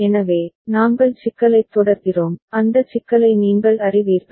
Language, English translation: Tamil, So, we continue with the problem, you are aware of that problem